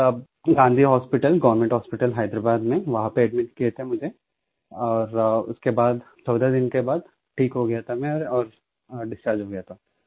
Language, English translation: Hindi, I was admitted to Gandhi Hospital, Government Hospital, Hyderabad, where I recovered after 14 days and was discharged